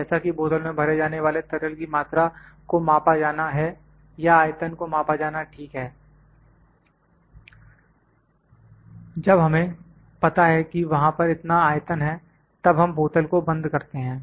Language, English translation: Hindi, Since the amount of liquid that is filled in a bottle is to be measured the volume has to be measured ok, then we know that this much volume is there then we close bottle